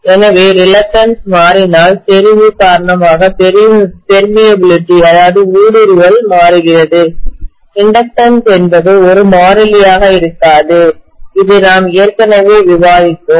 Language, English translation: Tamil, So if the reluctance is changing because the permeability is changing due to saturation, the inductance will not be a constant any more, this we already discussed, right